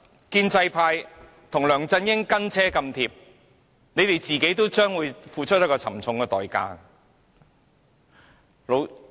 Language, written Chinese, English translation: Cantonese, 建制派在梁振英後"跟車太貼"，他們也會付出沉重代價。, The pro - establishment camp will have to pay a heavy price for tagging too closely after LEUNG Chun - ying